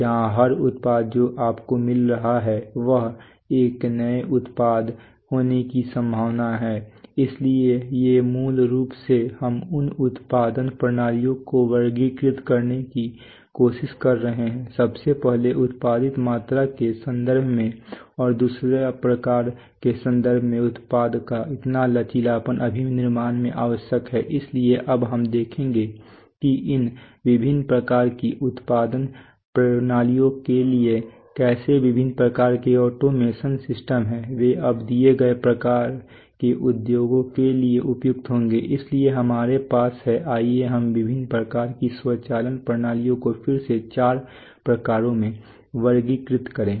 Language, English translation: Hindi, Where every product that you are getting is likely to be a new product right, so these are so basically what we are trying to categorize these production systems into, are firstly in terms of the quantity that is produced so and secondly in terms of the types of product so the so the flexibility required in manufacturing right so now we will see that for these various types of production systems how the various types of automation systems they are each one will be now suitable for given types of industries, so, so we have let us see the various types of automation systems again categorized into four types